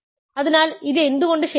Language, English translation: Malayalam, So, why is this true